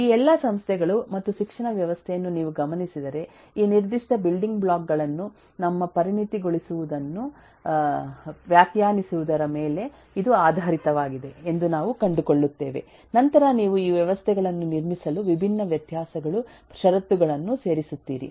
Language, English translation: Kannada, if you look at all of this institutes and educational system, that this is based on defining our, our ah specializing this specific building blocks, on which then you add different variabilitys, conditions in terms to buildup these systems